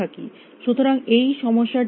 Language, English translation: Bengali, So, what is a size of this problem